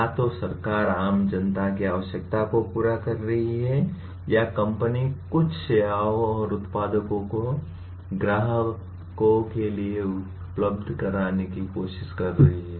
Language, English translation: Hindi, Either government is meeting the general public’s requirement or a company is trying to make certain services and products available to customers